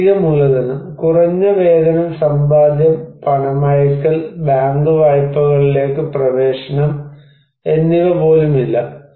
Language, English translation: Malayalam, Financial capital: also like low wages, no savings and no remittance and no access to bank loans